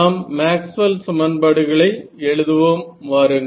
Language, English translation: Tamil, So, let us say write down our Maxwell’s equations